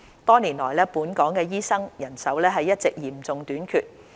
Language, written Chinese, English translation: Cantonese, 多年來，本港醫生人手一直嚴重短缺。, Over the years Hong Kong has been facing severe shortage of doctors